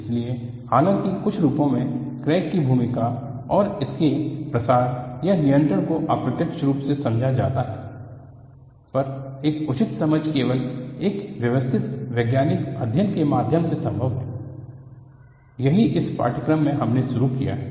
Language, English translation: Hindi, So, though in some form, the role of crack and its propagation or control is understood indirectly, a proper understanding is possible only through a systematic scientific study; that is what we have embarked up on in this course